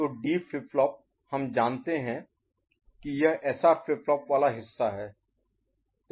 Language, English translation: Hindi, So, the D flip flop we know this is basic the SR flip flop part of it